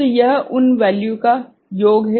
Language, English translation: Hindi, So, it is summation of those values right